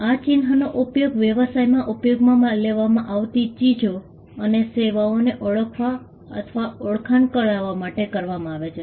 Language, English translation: Gujarati, These marks are used to identify or distinguish goods and services that are used in business